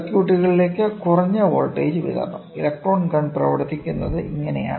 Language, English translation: Malayalam, So, it is high voltage supply low voltage supply to the circuit, this is how the electron works the electron the gun works, electron gun